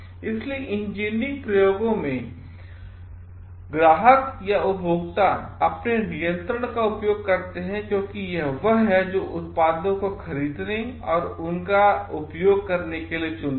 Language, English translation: Hindi, So, in engineering experiments clients or consumers exercise control because it is they who choose to buy or to use the products